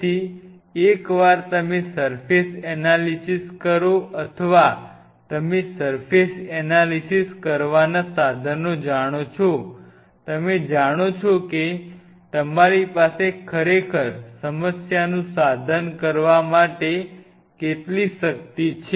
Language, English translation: Gujarati, So, once you analyse the surface or you know the tools to analyse a surface you know how much power you have now really to approach to a problem